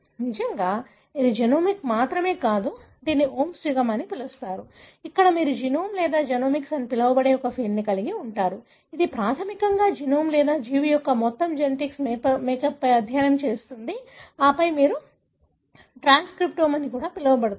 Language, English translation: Telugu, In fact this is not only genomics; this is called as the age of “omes”, where you have a field called as genome or genomics, which basically study on the genome or the entire genetic makeup of the organism and then you also have what is called as transcriptome